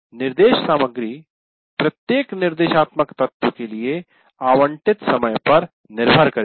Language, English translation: Hindi, And the instruction material will actually depend on the time allocated for each element, instructional element